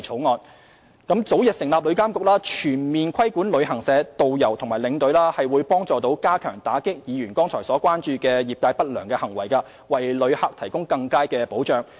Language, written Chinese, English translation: Cantonese, 旅監局早日成立，將可全面規管旅行社、導遊及領隊，有助加強打擊議員剛才表示關注的業界不良行為，為旅客提供更佳保障。, The early establishment of TIA will lead to full regulation of travel agents tourist guides and tour escorts which will help clamp down on the unscrupulous conduct of the industry as mentioned by Members earlier so that better protection can be provided for visitors